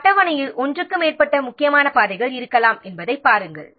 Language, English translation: Tamil, See, there can be more than one critical path in a schedule